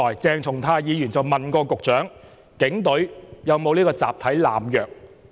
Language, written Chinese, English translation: Cantonese, 鄭松泰議員剛才問局長警隊有沒有集體濫藥？, Earlier on Dr CHENG Chung - tai asked the Secretary whether the Police had a problem of collective drug abuse